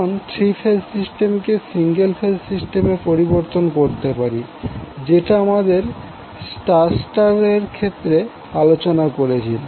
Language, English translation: Bengali, Now the 3 phase system here can be replaced by single phase equivalent circuit which we discuss in case of star star case